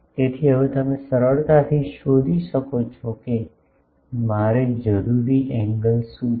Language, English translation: Gujarati, So, now, you can easily find out that what is the angle that I need